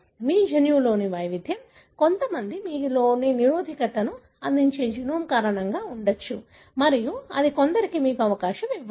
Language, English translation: Telugu, So, it could be because of the variation in your gene, genome that gives you resistance for some and that may give you susceptibility for some